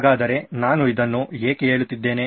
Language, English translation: Kannada, So why am I telling you this